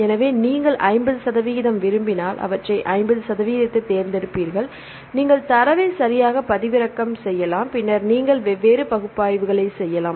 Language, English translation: Tamil, So, if you want 50 percent you will select the 50 percent and you can download the data right then you can do the different analysis